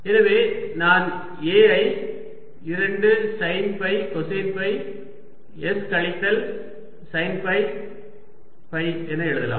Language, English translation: Tamil, so a i can write as two sine phi, cosine phi s minus sine phi phi